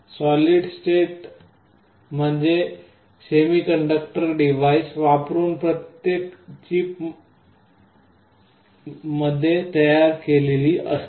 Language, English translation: Marathi, Solid state means everything is built inside a chip using semiconductor device